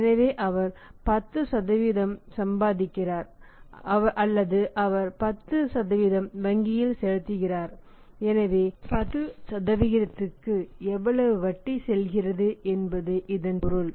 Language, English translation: Tamil, So, if he is earning 10% or he is paying 10% to the bank and he is making the payment to him on cash